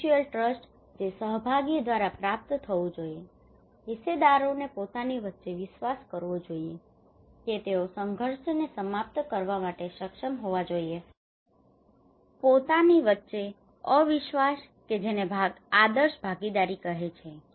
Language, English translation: Gujarati, Mutual trust, that should be achieved through participations, stakeholders should believe among themselves they should be able to resolve conflict, distrust among themselves that would called an ideal participations